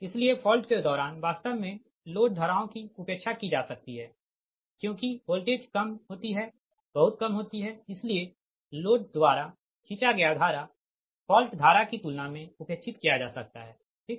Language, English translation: Hindi, right, so during fault, actually load currents can be neglected, right, because voltage is deep, very low, so that the current drawn by loads can be neglected in comparison to fault current